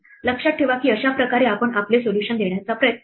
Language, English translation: Marathi, Remember that this is how we try to give our solution